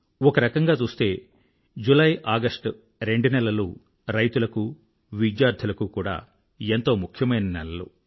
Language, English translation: Telugu, Usually, the months of July and August are very important for farmers and the youth